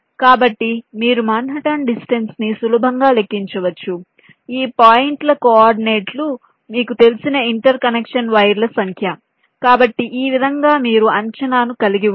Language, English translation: Telugu, so you can easily calculate the manhatten distance given the coordinates of these points, number of interconnection wires, you know